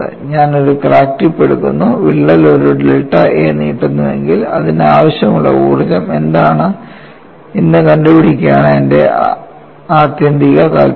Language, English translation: Malayalam, I am taking a crack tip, my interest is if the crack extends by a length delta a, what is the energy that is required is my ultimate interest